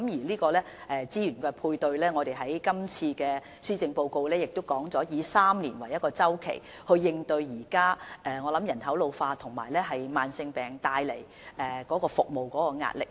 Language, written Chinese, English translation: Cantonese, 在資源配對上，正如施政報告提到，我們會以3年為一個周期作出資源配對，以應對現時人口老化及慢性病所帶來的服務壓力。, In regard to funding support as stated in the Policy Address we will provide funding on a triennium basis so as to cope with the service pressure arising from population ageing and chronic diseases